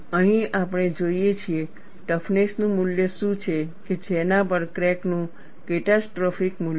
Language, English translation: Gujarati, Here, we see what is the value of toughness at which crack has a catastrophic value